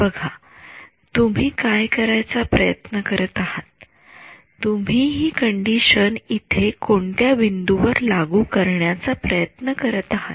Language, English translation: Marathi, See what you are trying to do you are trying to impose this condition at which point over here